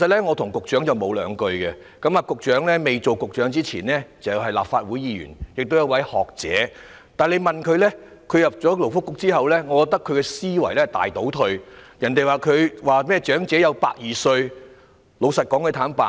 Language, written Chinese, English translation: Cantonese, 我與局長不甚熟稔，局長加入政府前是立法會議員，也是學者，但我認為他進入勞工及福利局後思維大倒退，竟說出甚麼長者有120歲壽命的話。, Before joining the Government the Secretary was a Legislative Council Member and a scholar . But in my view since he joined the Labour and Welfare Bureau his mindset has drastically regressed . To our surprise he said such things as the elderly can live up to the age of 120